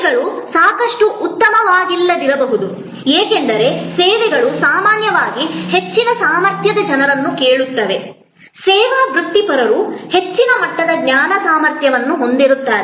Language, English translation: Kannada, Services may not be good enough, because services usually ask for people of higher caliber, service professionals have higher level of knowledge competency